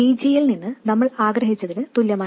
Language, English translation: Malayalam, And it is exactly the same as what we wanted for VG